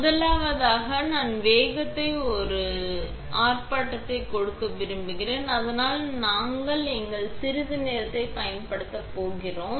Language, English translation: Tamil, First, I would like to give a demonstration of the speeds, so that I am going to use our little timing strip